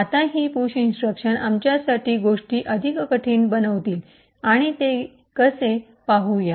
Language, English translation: Marathi, Now this push instruction would make things more difficult for us and let us see how